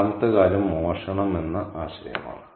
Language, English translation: Malayalam, The other thing is the idea of stealing